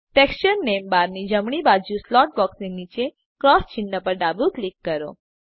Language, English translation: Gujarati, Left click the cross sign at the right of the Texture name bar below the slot box